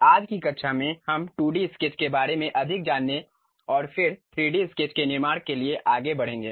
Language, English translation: Hindi, In today's class, we will learn more about 2D sketches and then go ahead construct 3D sketches